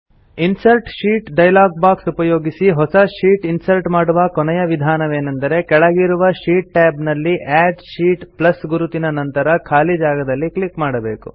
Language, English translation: Kannada, The last method of inserting a new sheet by accessing the Insert Sheet dialog box is by simply clicking on the empty space next to the Add Sheet plus sign in the sheet tabs at the bottom